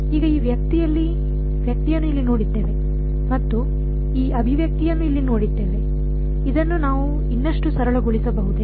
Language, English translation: Kannada, Now, having seen this guy over here and having seen this expression over here, can we further simplify this